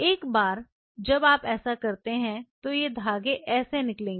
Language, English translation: Hindi, Once you do like that that is how these threads are going to come out